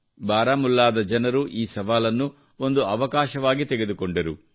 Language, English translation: Kannada, The people of Baramulla took this challenge as an opportunity